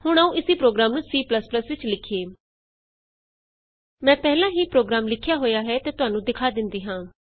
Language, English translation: Punjabi, Now Lets write the same program in C++ I have already made the program and will take you through it